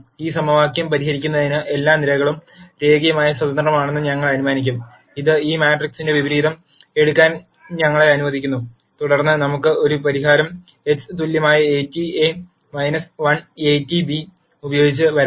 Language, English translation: Malayalam, Now to solve this equation we will assume that all the columns are linearly independent which allows us to take the inverse of this matrix, and then we can come up with a solution x equal a transpose a inverse a transpose b